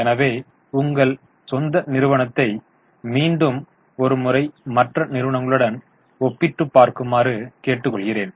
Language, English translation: Tamil, So, I am requesting you to study your own company once again and compare it with their other peers